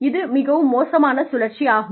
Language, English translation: Tamil, So, it becomes a vicious cycle